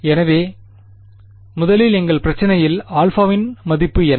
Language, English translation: Tamil, So, first of all in our problem what is the value of alpha